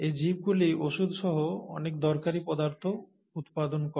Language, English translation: Bengali, These organisms produce many useful compounds, many useful substances, including a lot of medicines